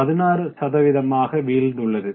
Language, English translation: Tamil, 16 that means 16% fall in the revenue